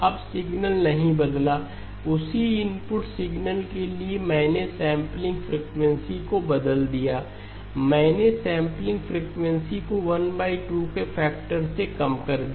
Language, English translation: Hindi, Now the signal did not change, the same input signal I changed the sampling frequency, I reduced the sampling frequency by a factor of 1 by 2